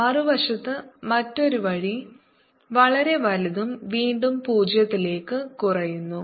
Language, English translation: Malayalam, the other way, on the other side, very large and elimination, again zero